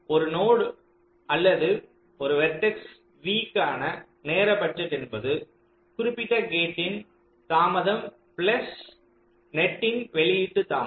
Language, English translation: Tamil, so the timing budget for a node or a vertex, v is defined as the delay of that particular gate plus the delay of the output net